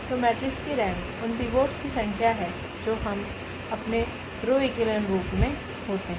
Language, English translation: Hindi, So, rank of the matrix is the number of the pivots which we see in our reduced a row echelon forms